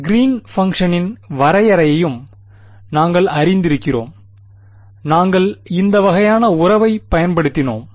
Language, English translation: Tamil, We were also familiar with the definition of the Green’s function; we had used this kind of a relation ok